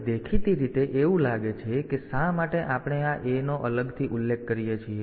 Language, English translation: Gujarati, Now apparently it seems that why do we mention this A separately